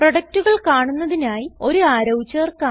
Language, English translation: Malayalam, To show the products, let us add an arrow